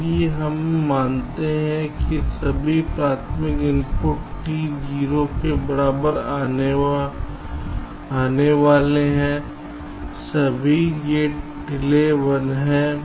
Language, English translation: Hindi, so here we assume that all primary inputs arriving at t equal to zero, all gate delays are one